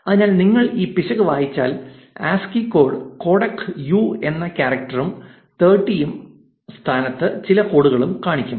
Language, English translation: Malayalam, So, if you read this error it says that ASCII codec cannot encode character u and some code in position 30